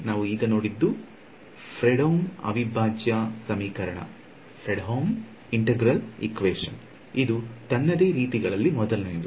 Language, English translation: Kannada, So, what we just saw was a Fredholm integral equation, this is of the 1st kind